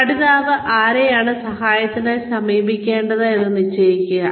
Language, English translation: Malayalam, Designate to whom, the learner should go to help